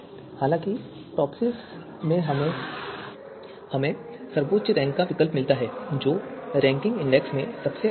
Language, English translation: Hindi, However, in TOPSIS we get highest rank alternative which is you know which is best in the ranking index